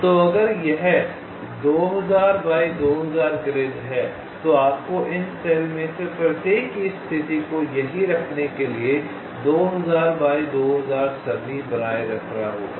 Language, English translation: Hindi, so if it is a two thousand by two thousand grid, you have to maintain the two thousand by two thousand array to store this status of each of this cells, right, ok, so these are the advantages